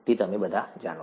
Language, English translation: Gujarati, You all know that